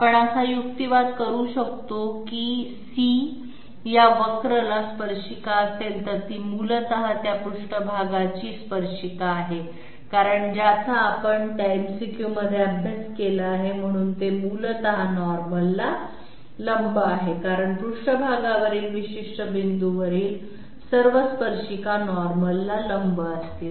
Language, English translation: Marathi, We can argue that if C is tangent to this curve it is essentially a tangent to the surface which we studied in that MCQ therefore, it is essentially perpendicular to the normal because all tangents at a particular point on a surface will be perpendicular to the normal at that point to the surface, so C is perpendicular to the normal n